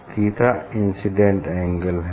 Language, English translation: Hindi, Theta is this incident angle